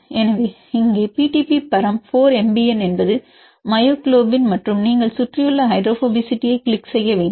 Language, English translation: Tamil, So, here the PDBparam is 4 MBN is myoglobin and you have to click on surrounding hydrophobicity